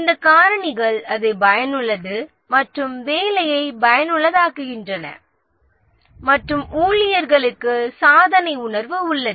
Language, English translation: Tamil, These factors make it worthwhile, make the job worthwhile and there is a sense of achievement for the employees